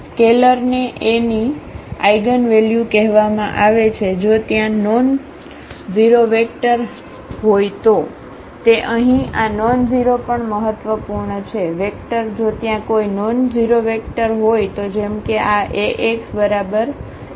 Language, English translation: Gujarati, A scalar lambda is called eigenvalue of A if there exists nonzero vector yeah, that is also important here this nonzero; vector if there exists a nonzero vector such that such that this Ax is equal to lambda x